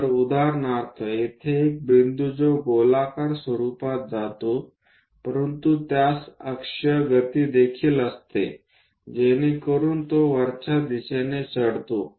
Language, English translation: Marathi, So, for example, here a point which goes in a circular format, but it has axial motion also, so that it rises upward direction and so on